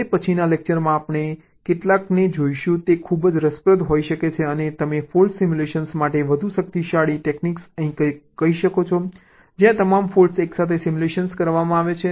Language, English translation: Gujarati, in the next lecture we shall be looking at a couple of ah you can very interesting and ah, you can say, more powerful techniques for fault simulation, where all the faults are simulated together